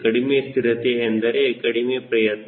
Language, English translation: Kannada, naturally less stable means less effort